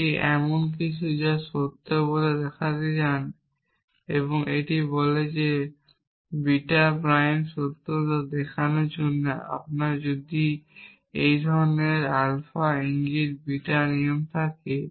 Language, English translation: Bengali, It is something you want to show to be true and this is saying that to show that beta prime is true, if you have a rule of a kind alpha implies beta and you can do this unification process